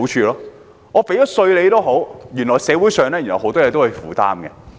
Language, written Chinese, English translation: Cantonese, 即使繳了稅，原來社會上很多東西仍是要負擔的。, Even with tax paid it turns out that many things in society still entail obligations